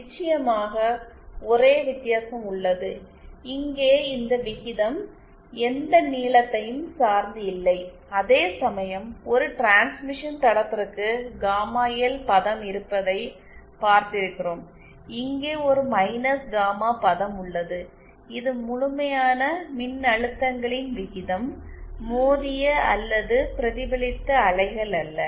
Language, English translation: Tamil, there is difference, here this ratio doesn’t depend on any length whereas for a transmission line which we saw there is a gamma L term, here there is just a minus gamma term also this is the ration of the absolute voltages, not the incident or the reflected waves